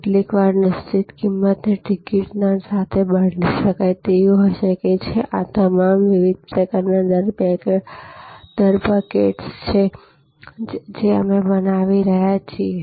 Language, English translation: Gujarati, Sometimes a fixed price ticket may be changeable with a penalty, these are all different types of rate buckets that we are creating